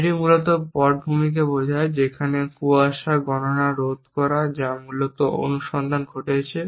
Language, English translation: Bengali, It basically implies at the background the deter mist calculation there search happening essentially